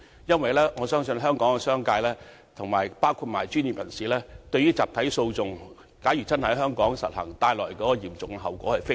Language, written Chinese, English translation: Cantonese, 因為我相信香港商界與專業人士均非常關注一旦集體訴訟真的在香港推行所帶來的嚴重後果。, It is because we believe the business sector and professionals in Hong Kong are greatly concerned about the grave consequences of class actions once they are really implemented in Hong Kong